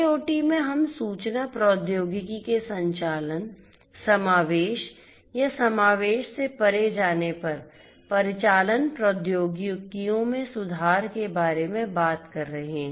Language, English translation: Hindi, In IIoT we are talking about going beyond the operations, incorporation or inclusion of information technology and improving upon the operational technologies